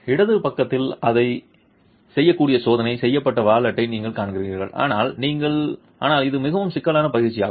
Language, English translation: Tamil, On the left side you see a tested wallet that it can be done but it is quite a cumbersome exercise